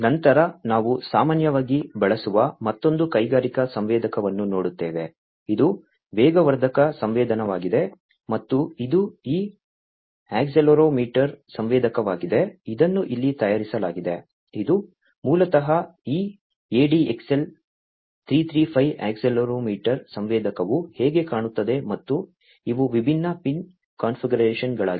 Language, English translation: Kannada, Then we will have a look at another very commonly used industrial sensor, which is the accelerometer sensor, and this is this accelerometer sensor that is shown over here the this is basically how this ADXL335 accelerometer sensor looks like and these are the different pin configurations